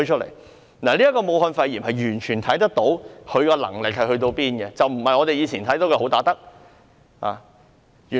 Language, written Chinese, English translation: Cantonese, 從武漢肺炎一事上，完全可見她有多大能力，並不是我們以前知道的"好打得"。, We can totally sense her limited capability in dealing with COVID - 19 and she is not a good fighter as we knew her in the past . Mrs Carrie LAM finally shed her tears